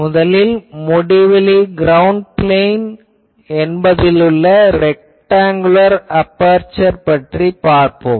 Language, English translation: Tamil, The first one is the rectangular aperture in an infinite ground plane